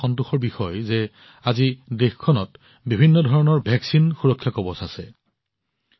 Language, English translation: Assamese, However, it is a matter of satisfaction that today the country has a comprehensive protective shield of a vaccine